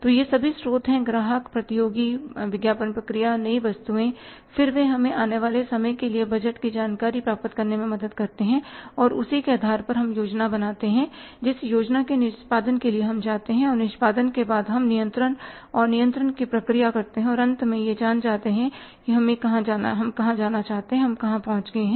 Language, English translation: Hindi, So, these are all sources customers, competitors, advertising process then new items and then they help us to prepare the budgeted information for the coming periods and on the basis of that we plan on the basis of the planned we go for the execution and after execution we perform the process of controlling and controlling is finally knowing about where we wanted to go about and where we have reached